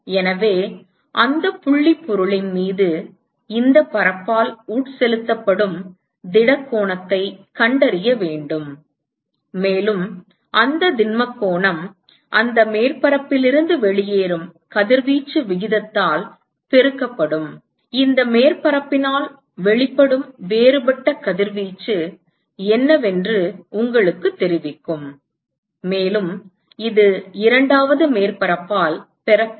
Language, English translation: Tamil, So, we need to find the solid angle that is subtended by this surface on that point object and that solid angle multiplied by the rate at which the radiation is leaving that surface will tell you what is the differential radiation that is emitted by this surface; and this is received by the second surface alright